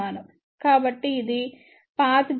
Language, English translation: Telugu, So, this is the path gain